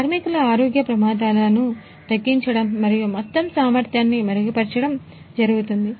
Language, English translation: Telugu, Reduction of the health hazards of the workers and improvement in overall efficiency